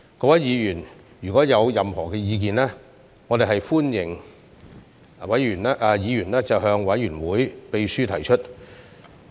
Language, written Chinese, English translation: Cantonese, 各位議員如有任何意見，歡迎向委員會秘書提出。, Members are welcome to offer us their views and suggestions through the Committee Secretariat